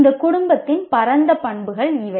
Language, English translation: Tamil, These are the broad characteristics of this family